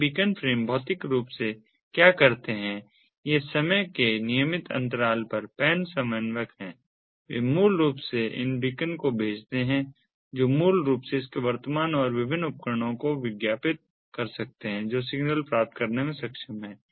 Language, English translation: Hindi, this beacon frames, physically what they do is this pan coordinator, at regular intervals of time, they in basically sends these beacons which can basically advertise its present and the different devices that are able to get the signal